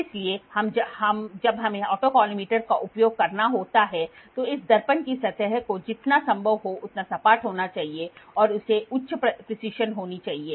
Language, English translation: Hindi, So, when we have to use autocollimator this mirror surface has to be as flat as possible and it has to be a high precision